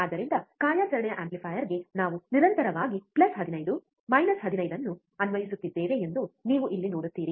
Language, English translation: Kannada, So, it is very easy again you see here we are constantly applying plus 15 minus 15 to the operational amplifier